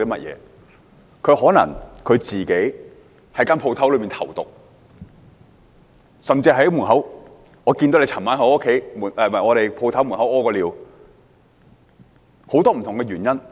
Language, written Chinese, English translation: Cantonese, 他可能曾在店鋪裏投毒，甚至是老闆看到他昨晚在店鋪門口小便，很多不同的原因。, He might have put poison in the food of the shop or the boss might have seen him urinate at the shop entrance the night before or there might be other reasons